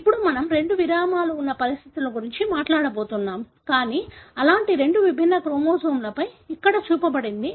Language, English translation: Telugu, Now, we are going to talk about conditions where there are two breaks, but on two different chromosomes like that is shown here